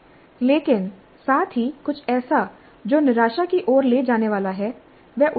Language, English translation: Hindi, But at the same time, something which is going to lead to a frustration will be counterproductive